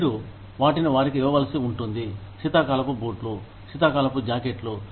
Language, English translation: Telugu, You may need to give them, winter shoes, winter jackets